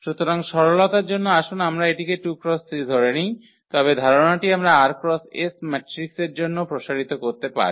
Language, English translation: Bengali, So, for simplicity let us take this 2 by 3, but the idea we can extend for r by s matrices as well